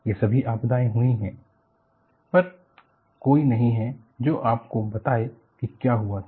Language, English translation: Hindi, All those disasters are happened, where there are no one will remain to tell you what happened